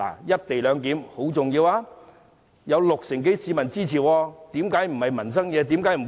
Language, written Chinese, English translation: Cantonese, "一地兩檢"十分重要，有六成多市民支持，為何不是民生議題？, The co - location arrangement is very important and supported by some 60 % of the public so why is it not a livelihood issue?